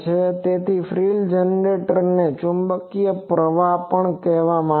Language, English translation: Gujarati, So, frill generator this is called this is the Magnetic Current